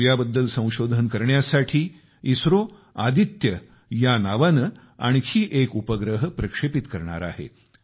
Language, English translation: Marathi, ISRO is planning to launch a satellite called Aditya, to study the sun